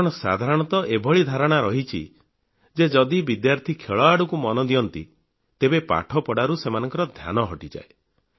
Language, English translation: Odia, People generally nurse the notion that if students indulge in sporting activities, they become careless about their studies